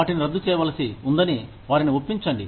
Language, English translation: Telugu, Convince them that, they had to be terminated